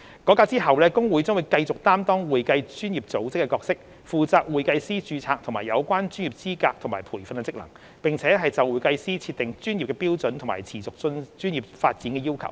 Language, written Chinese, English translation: Cantonese, 改革後，會計師公會將繼續擔當會計專業組織的角色，負責會計師註冊和有關專業資格及培訓的職能，並就會計師設定專業標準和持續專業發展的要求。, After the reform HKICPA will continue to play the role of an accounting professional body responsible for the registration of CPAs and functions in relation to professional qualifications and training as well as setting professional standards and continuing professional development requirements for CPAs